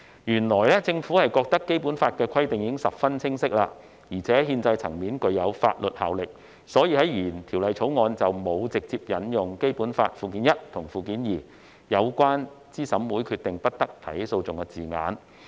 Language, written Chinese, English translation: Cantonese, 原本政府認為《基本法》的規定已十分清晰，並在憲制層面具有法律效力，因此在原《條例草案》中，沒有直接引用《基本法》附件一和附件二有關對資審會的決定不得提起訴訟的字眼。, Originally the Government considered that the provisions in the Basic Law were already very clear and had legal effect at the constitutional level . For this reason the original Bill did not directly cite the words in Annexes I and II to the Basic Law concerning the stipulation that no legal proceedings may be instituted in respect of a decision made by CERC